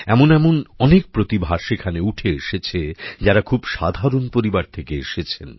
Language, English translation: Bengali, This time too many such talents have emerged, who are from very ordinary families